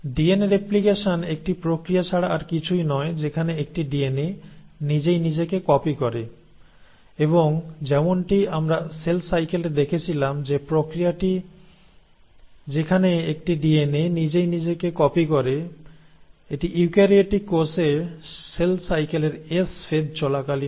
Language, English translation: Bengali, Well, DNA replication is nothing but a process in which a DNA will copy itself and as we had seen in cell cycle this process wherein a DNA copies itself happens in case of eukaryotic cells during the stage of S phase in cell cycle